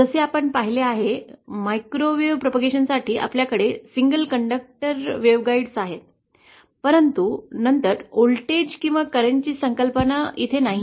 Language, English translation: Marathi, As you saw, we have single conductor wave guides for microwave propagation but then there is no concept of voltage or current